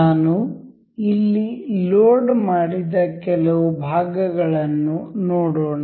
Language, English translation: Kannada, Let us see some of the parts I have loaded here